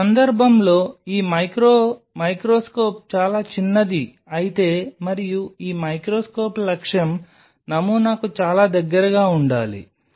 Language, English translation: Telugu, This l this micro microscope in this case if it is a very small l and this microscope objective has to come very close to the sample